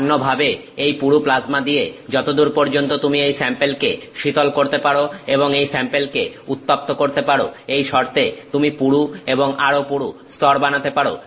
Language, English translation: Bengali, In other words, to the extent that you can keep cooling this sample and you can keep heating it with this thick with this plasma, you can make thicker and thicker layers